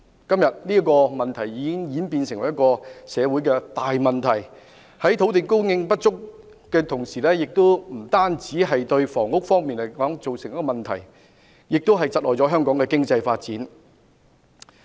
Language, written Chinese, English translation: Cantonese, 今天，這個問題已演變成社會大問題，土地供應不足不單會對房屋供應造成問題，同時亦會窒礙香港經濟發展。, Today this problem has evolved into a social problem . The inadequate supply of land not only affects the supply of public housing but also impedes the economic development of Hong Kong